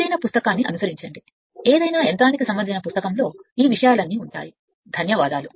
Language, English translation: Telugu, You follow any book any any any machine book you will find all these things are there with this